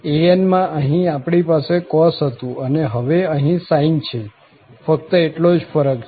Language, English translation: Gujarati, So, in an, we had here cos and now we have sine that is the only difference